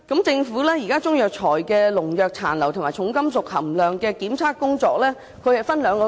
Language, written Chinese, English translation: Cantonese, 政府會就中藥材的農藥殘留及重金屬含量分兩階段進行檢測。, The Government conducts tests on pesticide residues and heavy metals in Chinese herbal medicines in two stages